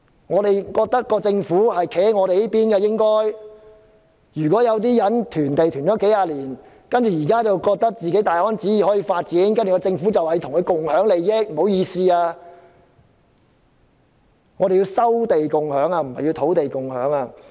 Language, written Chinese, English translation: Cantonese, 我們覺得政府應該站在我們這一邊，但有些人囤積土地多年，現時覺得可以大安旨意發展土地，政府還說要與他們共享土地利益？, We think that the Government should side with us . For those who have been hoarding land for years how dare they think that they can develop properties on their land without any worries and how dare the Government talk about sharing land interest with them?